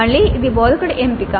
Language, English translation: Telugu, Again this is the choice of the instructor